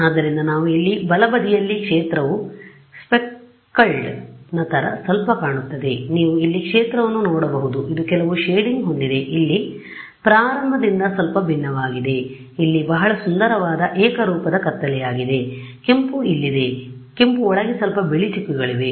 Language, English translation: Kannada, So, that is what we say towards the right hand side over here the field looks a little what they called speckled you can see the field over here it has some the shading is slightly different from at the very beginning here is the very nice homogenous dark red here is a here there are little white dots inside the red